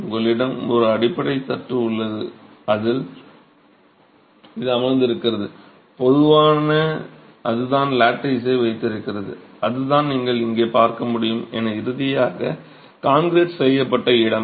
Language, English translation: Tamil, You have a base tray in which this is seated and that is what holds the lattice and that's the space that's finally concreted